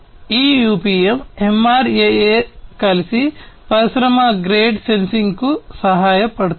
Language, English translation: Telugu, So, these UPM MRAA etc together they help in supporting industry grade sensing